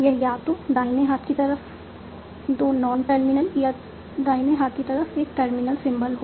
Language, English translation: Hindi, So, it can have either only two non terminals or only one terminal